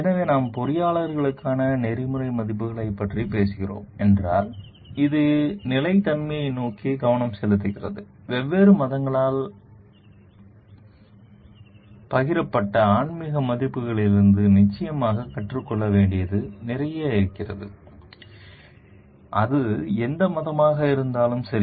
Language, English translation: Tamil, So, if we are talking of ethical values for the engineers, which is focused towards sustainability, there is definitely lot to be learned from the spiritual values shared by the different religions; be it whatever religion